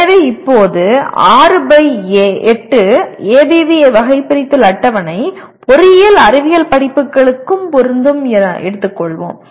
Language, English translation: Tamil, So what happens as of now we will consider 6 by 8 ABV taxonomy table is applicable to engineering science courses as well